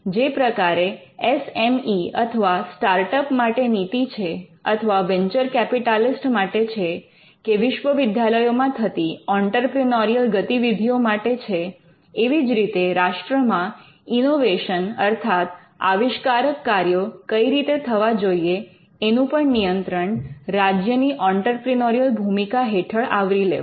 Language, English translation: Gujarati, For instance, the policy that it has on SME’s or on startups and the policies it has on venture capitalist or the policies the state has on universities and the entrepreneurial activity there, these can also play a role on how innovation happens in a country and this is again a part of the entrepreneurial function of the state